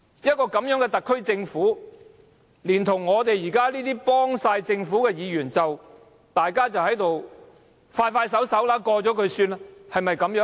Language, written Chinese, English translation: Cantonese, 這樣的一個特區政府，連同我們幫政府忙的議員，都只想盡快通過議案便算了事。, The only purpose of this Government of ours together with Members who take side with the Government is to facilitate the passage of the Governments motion as soon as possible